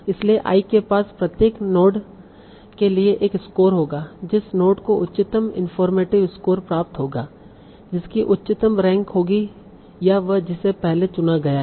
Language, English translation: Hindi, So I will have a score for each of the note and the node that gets the highest informative score has the highest page rank